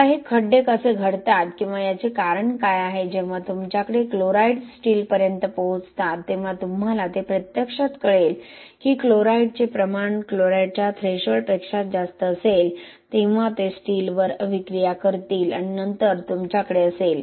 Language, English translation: Marathi, Now how this pitting happens or what is the reason for this is when you have chlorides reaching the steel you will see that they actually you know once the amount of chloride available is more than the chloride threshold they will react with the steel and then you have this ferrous hydroxide which is formed right here